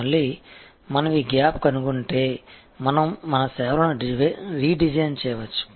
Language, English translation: Telugu, Again, if we find this gap, we can redesign our services